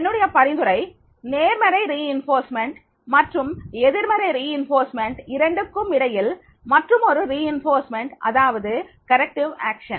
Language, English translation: Tamil, My suggestion is that is between the positive reinforcement and negative reinforcement, there is one more reinforcement and that is the corrective action